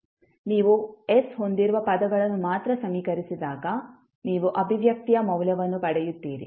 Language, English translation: Kannada, When you equate, only the terms having s, you can, you will get the value of expression